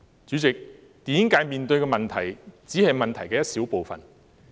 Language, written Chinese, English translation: Cantonese, 主席，電影界面對的只是問題的一小部分。, President what is faced by the film industry is only a small part of the problem